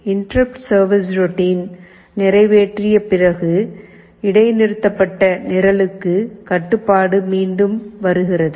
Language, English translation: Tamil, After execution of the interrupt service routine, control comes back to the program that was suspended